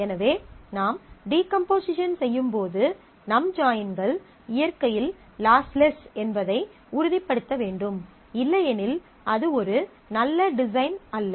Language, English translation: Tamil, So, when we decompose, we need to make sure that our joins are lossless in nature; otherwise that is not a good design